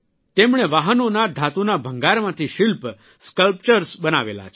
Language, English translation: Gujarati, He has created sculptures from Automobile Metal Scrap